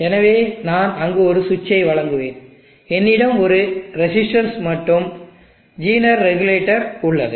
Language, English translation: Tamil, So I will provide a switch there, I have a resistance and designer regulator